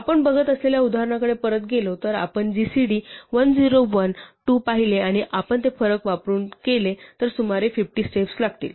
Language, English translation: Marathi, If we go back to the example that we were looking at, so if we saw that gcd 101, 2, and we did it using the difference we said we took about 50 steps